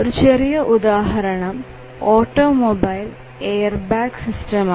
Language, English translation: Malayalam, One of the very simple example may be an automobile airbag system